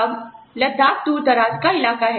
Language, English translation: Hindi, Now, Ladakh is a far flung area